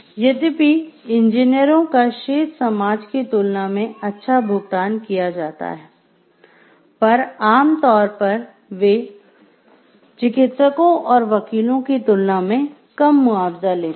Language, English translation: Hindi, Although engineers are paid well compared to the rest of the society, they are generally less well compensated than physicians and lawyers